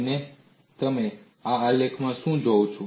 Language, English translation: Gujarati, And what do you see in this graph